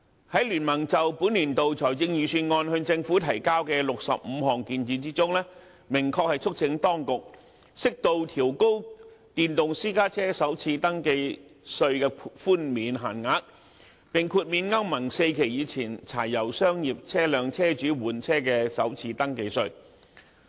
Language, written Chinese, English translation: Cantonese, 在經民聯就本年度財政預算案向政府提交的65項建議中，明確促請當局適度調高電動私家車首次登記稅的寬免限額，並豁免歐盟 IV 期以前柴油商業車輛車主換車的首次登記稅。, In BPAs 65 recommendations made to the Government on the Budget of this year we have expressly urged the authorities to suitably adjust upward the cap on the first registration tax concession for electric private cars while granting first registration tax waiver to vehicle owners seeking to replace their old pre - Euro IV diesel commercial vehicles